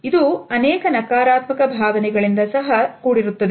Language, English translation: Kannada, And this is also associated with many negative feelings